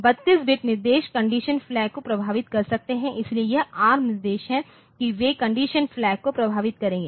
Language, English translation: Hindi, 32 bit instructions may affect condition flags; so, that is the ARM instructions they will affect the condition flag